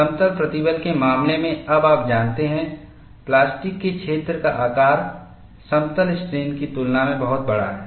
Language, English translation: Hindi, In the case of plane stress, now, you know, the size of the plastic zone is much larger than in plane strain